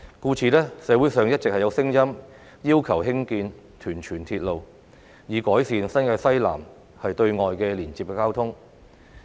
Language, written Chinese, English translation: Cantonese, 故此，社會上一直有聲音要求興建屯荃鐵路，以改善新界西南對外的交通連接。, Therefore there have been calls in society for the construction of a Tuen Mun - Tsuen Wan railway to improve the external transport connection in the Southwest New Territories